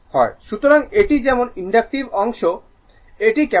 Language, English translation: Bengali, Because, one is inductive another is capacitive